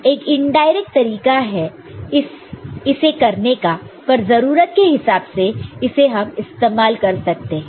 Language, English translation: Hindi, This is indirect way of doing it, but this is also can be used, depending on the need